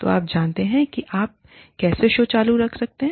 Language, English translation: Hindi, So, you know, it is how, you keep the show, running